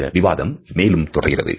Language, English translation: Tamil, So, this debate has continued